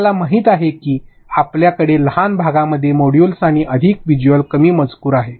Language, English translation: Marathi, You know have small chunked modules and also more visual, less text